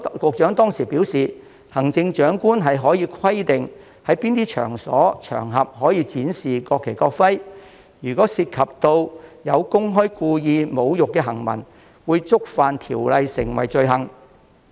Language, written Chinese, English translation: Cantonese, 局長當時表示，行政長官可規定在哪些場所、場合展示國旗、國徽，如有涉及公開故意侮辱的行文，即屬觸犯條文規定的罪行。, The Secretary responded then that the Chief Executive might specify by stipulations the occasions on which and places at which the display of the national flag and national emblem would be allowed and it would be an offence under the proposed provisions for making any insulting remarks publicly and deliberately